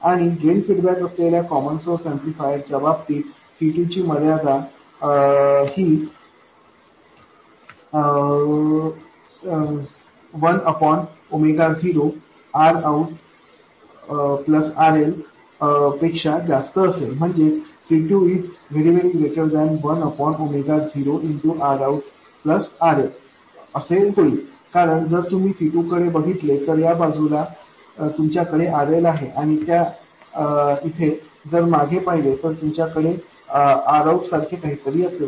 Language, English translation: Marathi, And as with the case of a common source amplifier with drain feedback, the constraint on capacitor C2 would be that C2 should be much greater than 1 by omega 0 times R out plus RL, because if you look at C2 on this side you have RL and looking back that way you would have R out, whatever it is